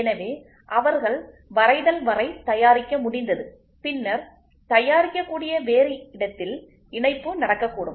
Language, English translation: Tamil, So, they were able to produce up to the drawing and then assembly could happen at a different place they could produce